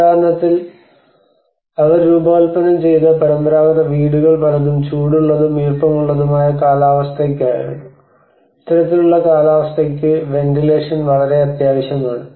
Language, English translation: Malayalam, For instance, many of the traditional houses they were designed for this hot and humid climate, and you know, therefore the ventilation is very much essential for this kind of climate